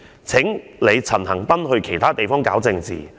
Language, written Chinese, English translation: Cantonese, 請你陳恆鑌去其他地方搞政治！, Would Mr CHAN Han - pan please go to other places to play his political trick!